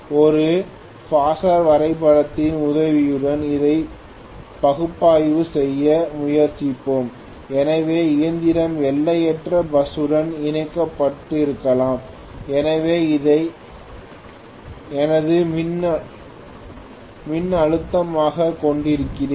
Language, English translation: Tamil, Let us try to analyze this with the help of a phasor diagram, so let me first draw may be the machine is connected to infinite bus, so I am going to have essentially this as my voltage